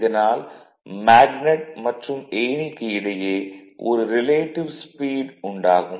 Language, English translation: Tamil, So, there will be a relative speed between that magnet and the ladder